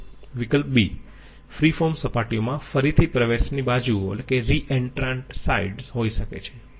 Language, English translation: Gujarati, B: free form surfaces might have re entrant sides